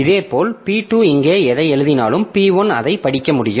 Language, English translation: Tamil, Similarly, whatever P2 writes here, P1 can read it